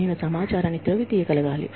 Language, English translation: Telugu, I have to be able, to dig out information